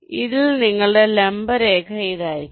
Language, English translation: Malayalam, so on this, the perpendicular line will be like this